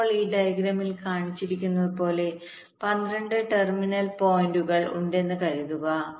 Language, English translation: Malayalam, now assume that there are twelve terminal points, as shown in this diagram